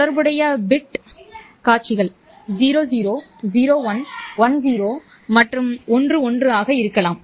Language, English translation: Tamil, The corresponding bit sequences could be 0,01, 1 0 and 1 1